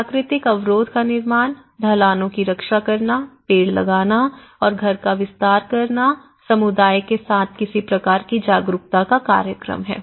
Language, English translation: Hindi, Construction of natural barriers, protecting slopes, planting trees and extending the house you know, some kind of awareness has been programmed with the community